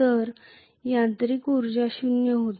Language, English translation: Marathi, So the mechanical energy was zero